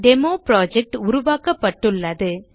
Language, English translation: Tamil, DemoProject has been created